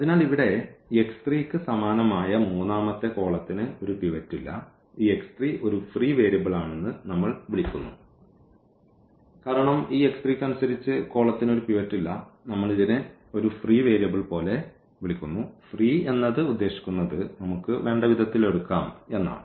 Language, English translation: Malayalam, So, here since this x 3 corresponding to the x 3 the third column does not have a pivot, we call that this x 3 is a free variable because corresponding to this x 3 the column does not have a pivot and we call this like a free variable; free means we can choose this as we want